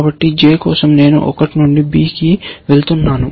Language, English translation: Telugu, So, for j, let us say i going from one to b